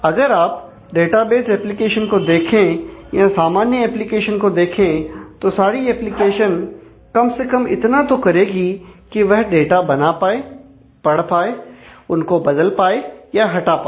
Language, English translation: Hindi, So, if you look at database applications and common applications will all applications will at least need to do this it lead to create data, read data, update data, delete data